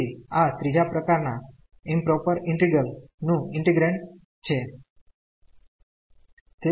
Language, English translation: Gujarati, So, this is the integrand of improper integral of third kind